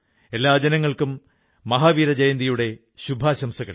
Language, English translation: Malayalam, I extend felicitations to all on the occasion of Mahavir Jayanti